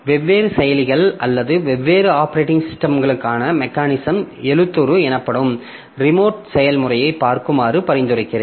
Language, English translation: Tamil, So I would suggest that you look into the remote procedure called mechanism for different processors, different operating systems that we have